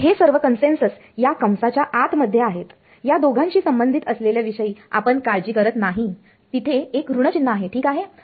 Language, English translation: Marathi, So, all those consensus are inside this bracket we do not care about it relative to these two there is a minus sign ok